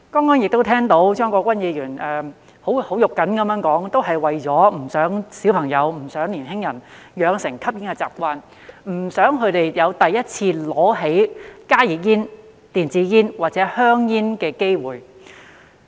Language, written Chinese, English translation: Cantonese, 我剛才聽到張國鈞議員很"肉緊"地說，這樣做也是不希望小朋友、年輕人養成吸煙的習慣，不想他們有第一次拿起加熱煙、電子煙或香煙的機會。, Just now I have heard Mr CHEUNG Kwok - kwan say in a very impassioned manner that he did not want children and young people to develop the habit of smoking and did not want them to have the opportunity to pick up HTPs e - cigarettes or cigarettes in general for the first time